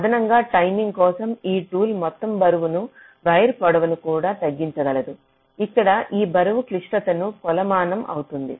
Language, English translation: Telugu, the tool can also minimize the total weighted wire length, where this weight will be a measure of the criticality